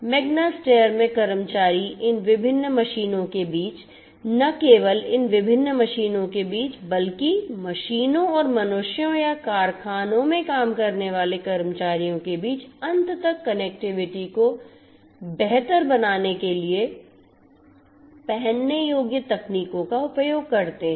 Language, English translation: Hindi, In Magna Steyr the employees use wearable technologies in order to have end to end connectivity, improved connectivity, between these different machines, not only between these different machines but also the machines and the humans or the employees that are working in the factory